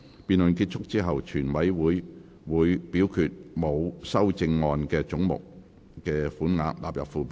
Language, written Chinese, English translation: Cantonese, 辯論結束後，全體委員會會表決沒有修正案的總目的款額納入附表。, After the debate committee will put to vote that the sums for the heads with no amendment stand part of the Schedule